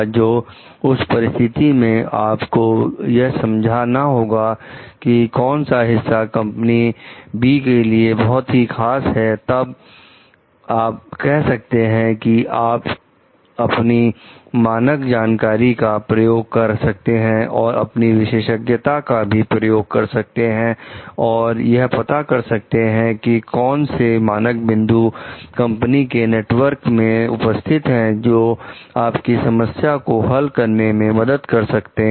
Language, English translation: Hindi, So, in that case you have to like understand like which is very specific to company B, then whether you can say, use your standard knowledge and then use your expertise and find out what are the specific points in present in company B s network that can help you to solve the problem